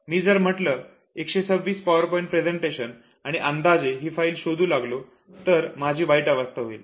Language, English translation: Marathi, If I have say 126 PowerPoint presentations with me, making random search will make my life help